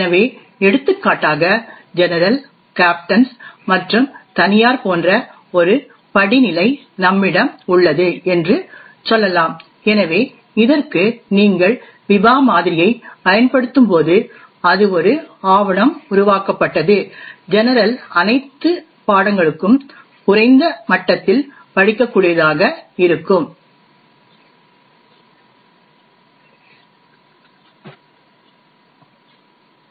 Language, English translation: Tamil, So for example let us say we have a hierarchy like this of general, captains and private, so when you apply the Biba model to this that is a document created by let us say the general should be readable to all subjects at a lower level, further the Biba model also defines the property for no read down, so what this means is that a file created by the captains cannot be read by the general